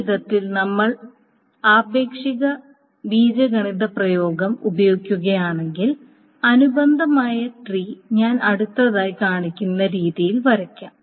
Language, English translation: Malayalam, Now if we utilize it, if the relational algebra expression is this way, the corresponding tree can be drawn in the manner that I will show next